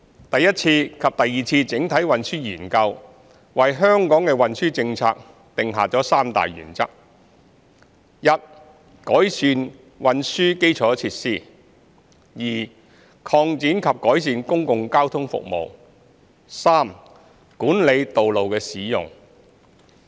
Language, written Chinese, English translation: Cantonese, 第一次及第二次整體運輸研究為香港的運輸政策定下三大原則 ：i 改善運輸基礎設施；擴展及改善公共交通服務；及管理道路的使用。, The first and the second CTSs set out three principles for our transport policy i improving transport infrastructure; ii expanding and improving public transport services; and iii managing road use